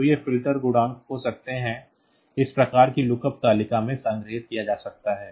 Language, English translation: Hindi, So, they can be the filter coefficients can be stored in this type of lookup table